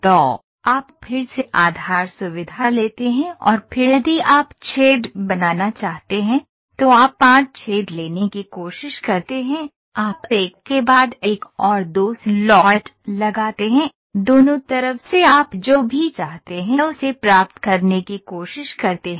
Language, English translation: Hindi, So, you again take the base feature and then if you want to make hole, you try to take 5 holes, you put one after the other after the other and 2 slots on the both sides you try to get whatever you want